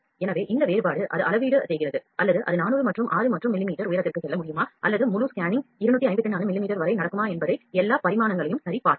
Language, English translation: Tamil, So, this differentiation it calibrates or it just take check all the dimension whether it can go up to 400 as 6 and millimeter height or whether the whole scanning can happen up to 254 millimeter